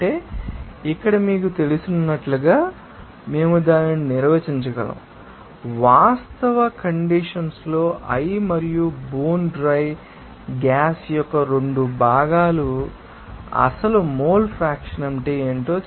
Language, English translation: Telugu, That means here we can define it as you know, what will be the actual mole fraction of that 2 components of i and bone dry gas in the actual condition